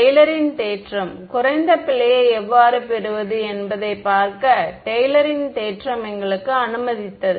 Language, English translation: Tamil, Taylor’s theorem; Taylor’s theorem allowed us to see how to get the lowest error right